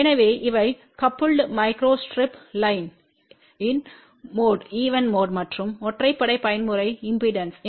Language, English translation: Tamil, So, these are coupled micro strip line even mode and odd mode impedances